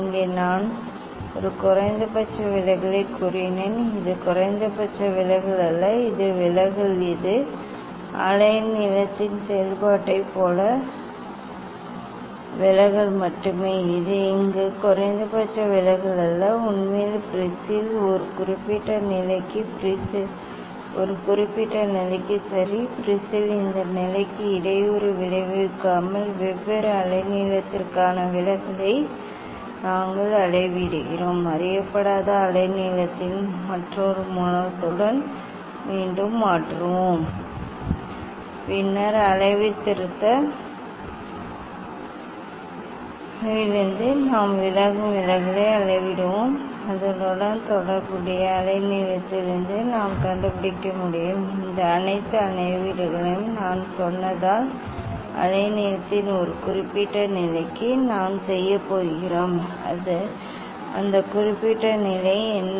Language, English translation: Tamil, here I told this a minimum deviation, it is not minimum deviation it is deviation It is just deviation as if function of wave length, it is not minimum deviation here actually the for a particular position of the prism for a particular position of the prism ok, we are measuring the deviation for different wave length without disturbing this position of the prism, we will just again we will replace with another source of unknown wave length Then again, we will measure the deviation that deviation we will plot in the calibration curve and from their corresponding wavelength we can find out for as I told this all measurements we are going to do for a particular position of the wavelength what is that particular position